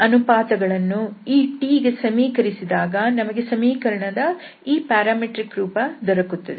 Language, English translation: Kannada, And this these ratio equated to this t to have this parametric form